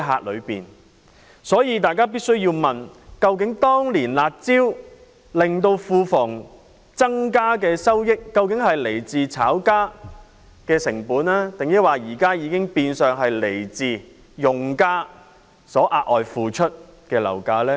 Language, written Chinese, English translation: Cantonese, 因此，大家必須問，當年"辣招"令到庫房增加的收益，究竟是來自炒家的成本，還是現時已經變相是來自用家額外付出的樓價呢？, Hence we must have a question in mind Was the increase in revenue arising from the curb measures back then contributed by the costs of speculators? . Or has the increase in revenue translated into additional property prices currently paid by users?